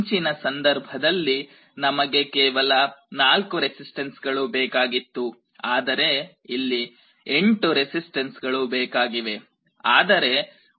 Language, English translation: Kannada, In the earlier method, we were requiring only 4 resistances, but here if you need 8 resistances